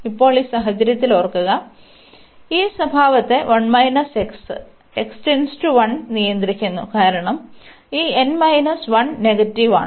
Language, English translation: Malayalam, And now in this case remember; now the behavior is governed by this 1 minus x as x approaches to 1, because this n minus 1 is negative